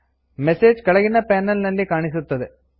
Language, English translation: Kannada, The message is displayed in the panel below